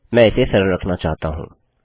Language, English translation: Hindi, I want to keep it simple